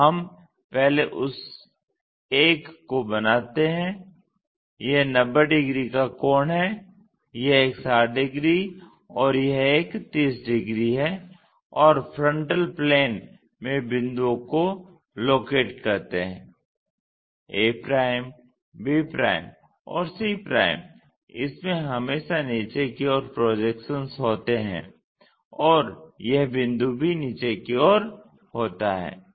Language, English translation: Hindi, So, we first construct that one, this is 90 degrees angle, this one 60 degrees and this one 30 degrees and locate the points in the frontal plane a', b' and c' this always have projections downwards and this point also downwards